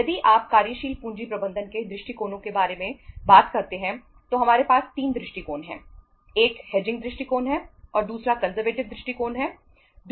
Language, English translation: Hindi, If you talk about the approaches of working capital management, we have 3 approaches